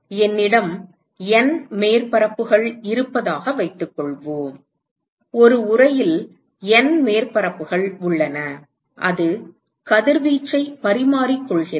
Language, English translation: Tamil, Supposing I have N surfaces, supposing I have N surfaces in an enclosure and it is exchanging radiation